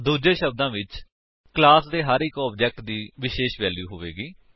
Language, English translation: Punjabi, In other words each object of a class will have unique values